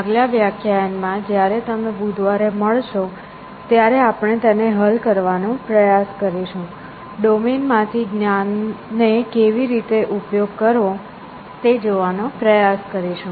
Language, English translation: Gujarati, On the next class when you meet on a Wednesday, we will try to see how to get around this, how to exploit some knowledge from the domain essentially